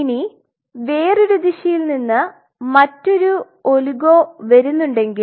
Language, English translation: Malayalam, So, if there is another, if there is another oligo coming from the other direction